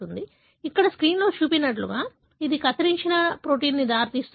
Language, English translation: Telugu, So, like what is shown here in the screen, so would it result in truncated protein